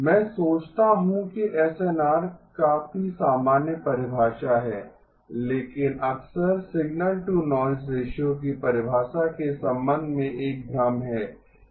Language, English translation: Hindi, I think SNR is a fairly common definition but often there is a confusion with respect to the definition of signal to noise ratio